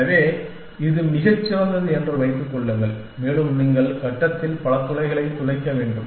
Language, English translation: Tamil, So, supposing it was the great, and you have to drill many holes in the grid